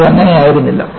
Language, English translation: Malayalam, But, that was not the case